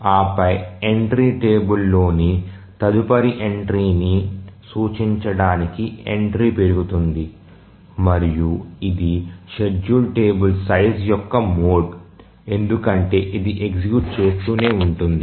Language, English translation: Telugu, And then the entry is augmented to point to the next entry in the table and it is mod of the schedule table size because it just keeps on executing that